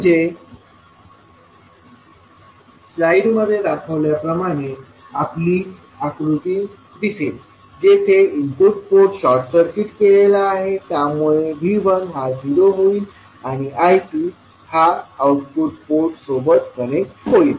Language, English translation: Marathi, So your figure will look like as shown in the slide where the input port is short circuited in that case your V 1 will become 0 and I 2 is connected to the output port